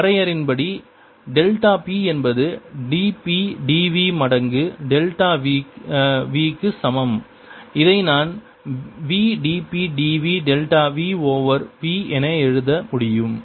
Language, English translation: Tamil, by definition, delta p is equal to d p, d v times delta v, which i can write it as b d p, d v, delta p over v